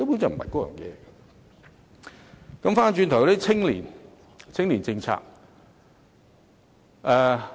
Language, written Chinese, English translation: Cantonese, 再談談青年政策。, Let me talk about the youth policy